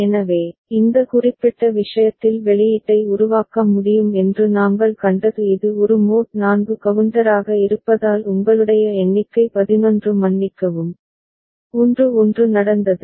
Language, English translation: Tamil, So, in this particular case what we had seen that output can be generated since it is a mod 4 counter a count of you know 11 sorry, 1 1 has taken place